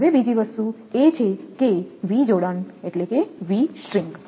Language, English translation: Gujarati, Now another thing is that is v connection V strings